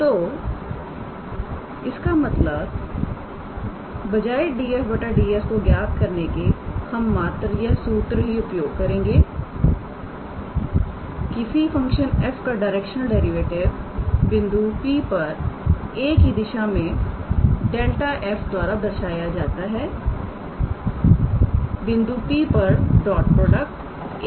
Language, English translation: Hindi, So, that means, instead of calculating df dS we can just using this theorem the directional derivative of the function f at the point P in the direction of a is given by gradient of f at the point P dot product with a cap